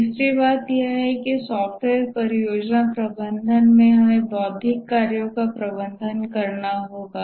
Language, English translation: Hindi, The third thing is that we have to, in software project management, we have to manage intellectual work